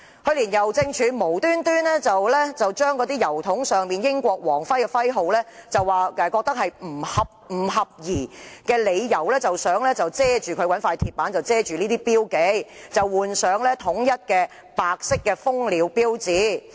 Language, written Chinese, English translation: Cantonese, 去年，郵政署忽然以郵筒上的英國皇室徽號不合宜為由，以鐵板遮蓋有關標記，劃一換上香港郵政的白色蜂鳥標誌。, Last year the Hongkong Post HKP suddenly covered the British crown markings engraved on posting boxes with iron plates featuring HKPs corporate logo of a white humming bird on the grounds that these posting boxes are no longer appropriate